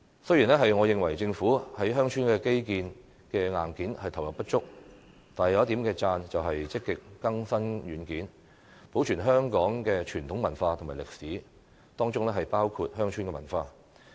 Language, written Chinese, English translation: Cantonese, 雖然我認為政府在鄉村的基建硬件上投入不足，但有一點值得稱讚，就是積極更新軟件，保存香港的傳統文化和歷史，當中包括鄉村文化。, Even though I think the Government has not committed sufficient resources for building infrastructure hardware in villages there is one area of work worthy of commendable and that is the Government has actively updated the software and preserved the traditional culture and history of Hong Kong including rural culture